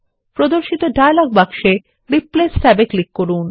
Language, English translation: Bengali, In the dialog box that appears, click on the Replace tab